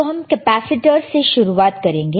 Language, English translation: Hindi, So, we start with the capacitors